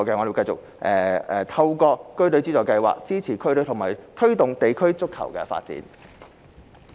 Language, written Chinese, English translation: Cantonese, 民政局會繼續透過區隊資助計劃，支持區隊和推動地區足球發展。, The Home Affairs Bureau will continue to support district teams and promote district football development through the DFFS